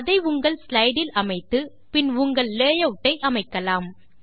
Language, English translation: Tamil, You can apply a blank layout to your slide and then create your own layouts